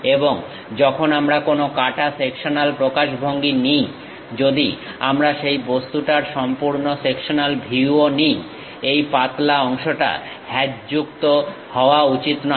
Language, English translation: Bengali, And when we are taking any cut sectional representation; even if we are taking full sectional view of that object, this thin portion should not be hatched